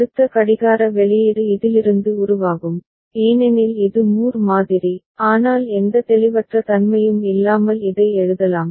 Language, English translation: Tamil, Next clock output will generate from this only because it is Moore model, but we can write it without any ambiguity